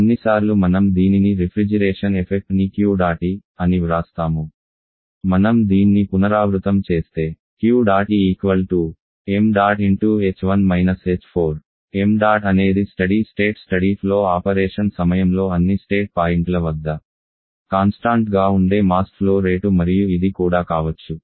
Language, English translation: Telugu, Sometimes we write this the refrigeration effect Q dot E, if you just repeat this Q dot E called m dot into h1 – h4 m dot is the mass flow rate which remains constant at all the state points for a during steady state steady flow operation